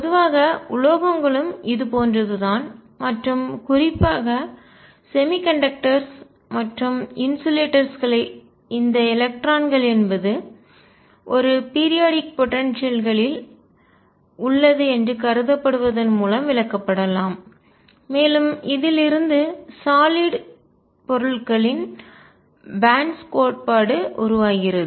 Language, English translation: Tamil, In general metals are also like this and in particular semiconductors and insulators can be explained through this electrons being considered in a periodic potential, and what gives rise to is the band theory of solids